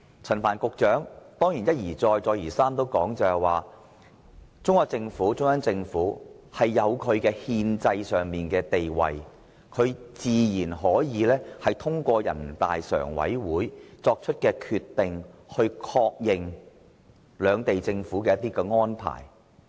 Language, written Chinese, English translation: Cantonese, 陳帆局長當然一再指出，中央政府有憲制地位，自然可以通過人大常委會作出的決定，確認兩地政府的安排。, Certainly Secretary Frank CHAN has repeatedly asserted that with its constitutional status the Central Government can naturally acknowledge the arrangement made by both Governments through NPCSCs decision